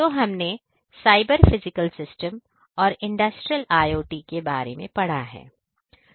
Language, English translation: Hindi, So, we have studied about cyber physical systems and Industrial IoT